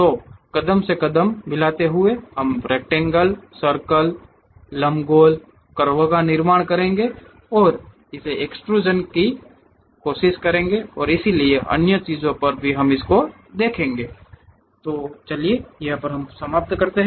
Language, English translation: Hindi, So, step by step we will construct rectangle, ellipse, circle, curves, and try to extrude it and so on other things we will see, ok